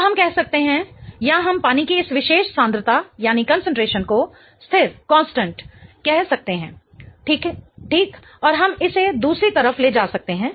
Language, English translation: Hindi, So, we can say or we can term this particular concentration of water as a constant, okay